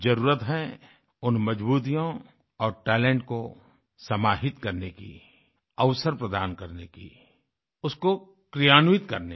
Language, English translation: Hindi, The need of the hour is to synergise those strengths and talents, to provide opportunities, to implement them